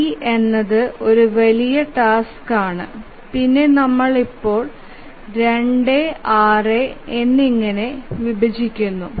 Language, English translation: Malayalam, So, is D is a large task and we divide into 2 and 6